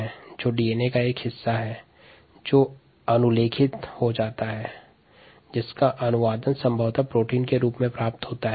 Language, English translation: Hindi, you know the gene which is a part of the d n, a that gets transcribed, translated to probably a protein